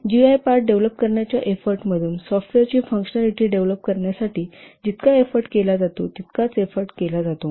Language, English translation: Marathi, Effort spent on developing the GI part is upon as much as the effort spent on developing the actual functionality of the software